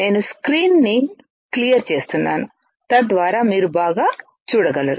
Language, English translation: Telugu, I am clearing out the screen, so that you guys can see better